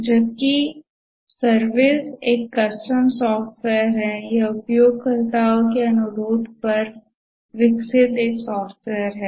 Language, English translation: Hindi, Whereas a service is a custom software, it's a software developed at users request